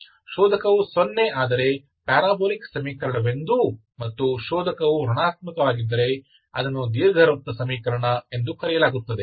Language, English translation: Kannada, If the discriminant is 0, parabolic equation and if the discriminant is negative, it is called elliptic equation